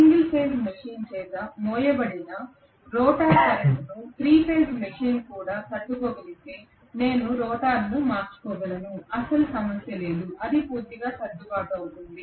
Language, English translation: Telugu, If the rotor current that is carried by the single phase machine can be withstood by the 3 phase machine as well I can interchange the rotor, no problem at all it will completely adjust itself